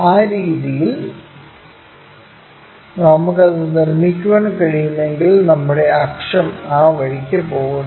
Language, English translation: Malayalam, In that way, if we can make it our axis goes in that way